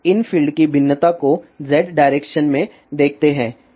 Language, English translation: Hindi, Now, let us see the variation of these fields in a Z direction